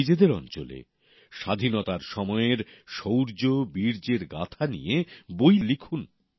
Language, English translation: Bengali, Write books about the saga of valour during the period of freedom struggle in your area